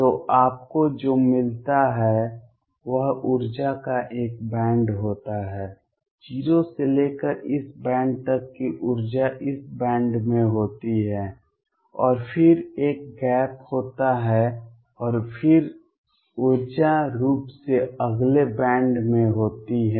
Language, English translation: Hindi, So, what you get is a band of energy, energy ranging from 0 to up to this band all the energies are in this band and then there is a gap and then the energy again picks up is in the next band